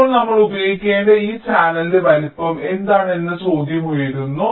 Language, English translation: Malayalam, now the question arises that what is the size of this channel we need to use